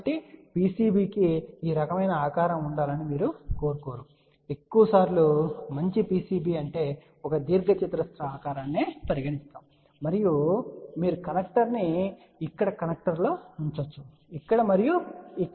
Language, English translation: Telugu, So, you do not want a PCB to have a something like this kind of a shape majority of the time let us say a nice PCB will be more like let us say a rectangular shape over here and then you can put a connecter here connector here and connector over here